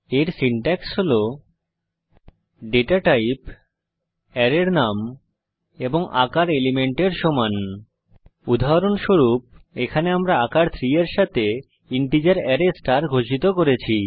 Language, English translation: Bengali, The Syntax for this is: data type,, size is equal to elements example, here we have declared an integer array star with size 3